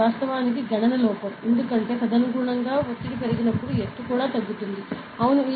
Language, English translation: Telugu, So, it is the calculation actually an error, because when the pressure increases accordingly the altitude should also decrease, correct yeah